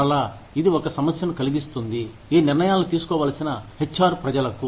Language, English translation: Telugu, And again, this poses a problem, for the HR people, who have to take these decisions